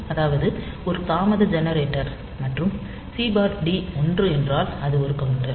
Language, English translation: Tamil, So, that is a delay generator and if C by T is 1 then it is a counter